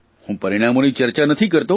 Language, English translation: Gujarati, I won't discuss the results